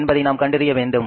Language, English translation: Tamil, That we will have to work out